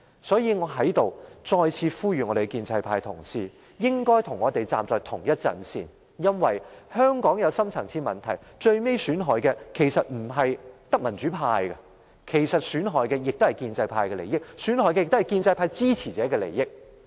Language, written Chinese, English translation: Cantonese, 所以，我要再次呼籲建制派同事，應該與我們站在同一陣線，因為香港有深層次問題，最終損害的不只是民主派，也損害了建制派及其支持者的利益。, Hence I call upon colleagues of the pro - establishment camp once again to stand on the same front with us because the deep - rooted problems of Hong Kong will not only do harm to the democratic camp but will also prejudice the interests of the pro - establishment camp and its supporters in the end